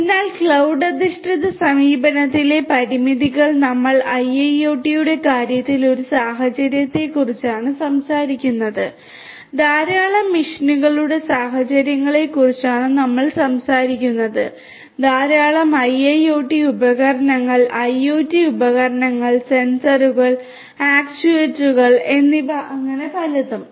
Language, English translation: Malayalam, So, limitations in the cloud based approach is that we are talking about a scenario in the case of IIoT we are talking about scenarios of machines large number of machines equipped with large number of IIoT devices, IoT devices and so, on sensors, actuators and so on and so forth